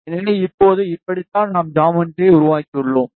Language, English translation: Tamil, So, now, my geometry is like this now we have created the geometry